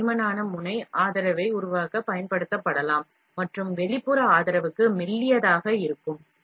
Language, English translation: Tamil, This thicker nozzle may be employed to build support and thinner for the external support